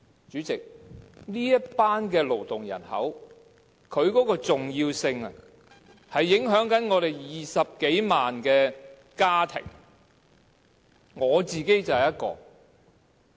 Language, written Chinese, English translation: Cantonese, 主席，這群勞動人口的重要性是影響着本港20多萬個家庭的。, Chairman the significance of this workforce lies in its impact on more than 200 000 households in Hong Kong and I am one of them